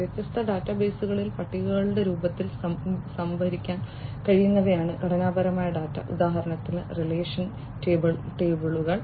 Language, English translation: Malayalam, Structure data are the ones which could be stored in the form of tables in different databases; for example, relational tables, right